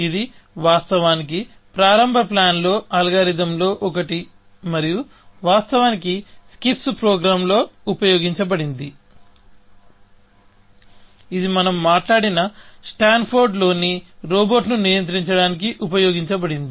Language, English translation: Telugu, It is actually, one of the earliest planning algorithms devised, and was in fact, used in the skips program, which was used to control the robot in Stanford that we have spoken about, essentially